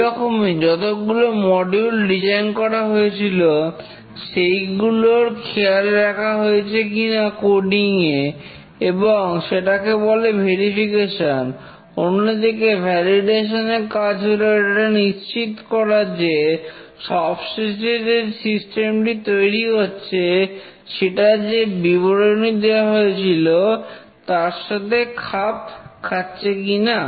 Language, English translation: Bengali, Similarly, for coding, whether all the design modules that were designed have been taken care properly and that is called as the verification whereas validation is the process of determining whether a fully developed system confirms to its specification